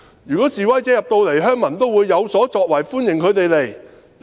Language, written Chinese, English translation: Cantonese, 如果示威者到元朗，鄉民都會有所作為，歡迎他們到來。, If protesters went to Yuen Long the villagers would do something and welcome their arrival